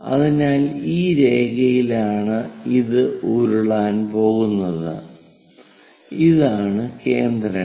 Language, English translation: Malayalam, So, this is the line on which it is going to roll, and these are the centers